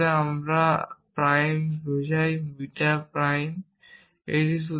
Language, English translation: Bengali, So, this is alpha and this is beta and this is alpha prime